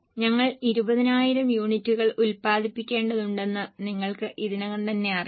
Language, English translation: Malayalam, You already know that we have to produce 20,000 units at 4